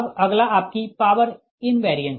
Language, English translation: Hindi, next is your power, invariance